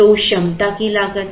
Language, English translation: Hindi, So, cost of that capacity